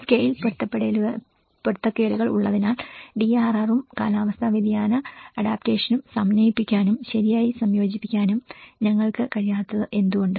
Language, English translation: Malayalam, Why we are unable to integrate, properly integrate the DRR and the climate change adaptation because there are scale mismatches